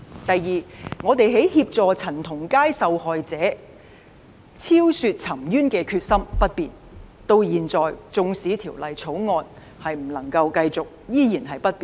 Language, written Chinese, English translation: Cantonese, 第二，我們協助陳同佳案受害者昭雪沉冤的決心不變，至今縱使《條例草案》的工作不能夠繼續，我們的決心依然不變。, Second our determination to assist the victim of the CHAN Tong - kai case in redressing the injustice remains unchanged . To date even though the legislative work of the Bill cannot continue our determination still remains unchanged